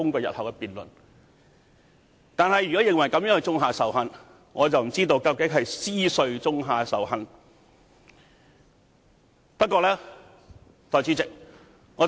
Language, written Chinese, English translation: Cantonese, 然而，如果認為這樣做是種下仇恨，我不知道究竟是誰種下仇恨？, However if proposing amendments would sow hatred I wonder who is actually to blame for that